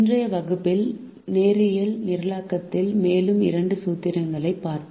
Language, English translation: Tamil, in today's class we will look at two more formulations in linear programming